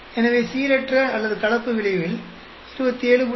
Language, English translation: Tamil, So, in the random or mixed effect 27